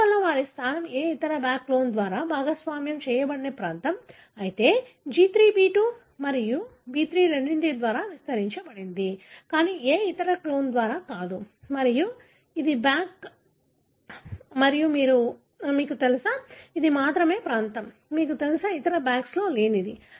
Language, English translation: Telugu, Therefore, their position is a region that is not shared by any other BAC clone, whereas G3 amplified by both B2 and B3, but not by any other clone and this is the BAC and you know, this is the only region, you know, which is not present in other BACS